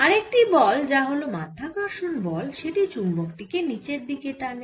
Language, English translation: Bengali, there is another force, which is gravitational pull, acting down words on the magnet